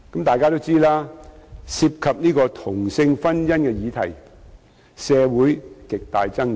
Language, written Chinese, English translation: Cantonese, 眾所周知，涉及同性婚姻的議題，在社會上有極大爭議。, As we all know issues relating to same - sex marriage are highly controversial in the community